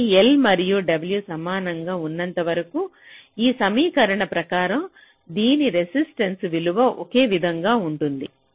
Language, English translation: Telugu, so as long as l and w are equal, its resistance value will be the same